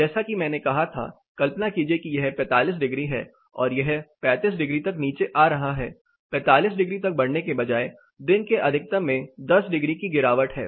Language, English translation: Hindi, As I said imagine this is 45 degrees this is coming down to 35 degrees, instead of rising up to 45 there is a 10 degree reduction in the daytime maxima